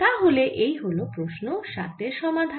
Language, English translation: Bengali, so that's question number seven solved